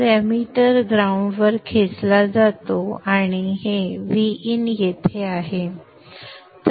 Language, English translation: Marathi, So the emitter is pulled to the ground and this is at VIN